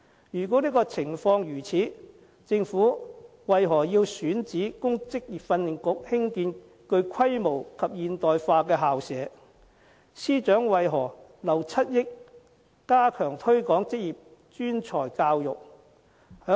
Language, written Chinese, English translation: Cantonese, 如果情況是這樣的話，政府為何要選址供職訓局興建具規模及現代化校舍，司長為何留7億元加強推廣職業專才教育？, If this is the case why does the Government have to identify a site for VTC to build a campus with adequate capacity and state - of - the - art facilities? . And why does the Financial Secretary have to deploy 700 million for promoting vocational and professional education and training?